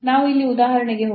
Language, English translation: Kannada, So, let us move to the example here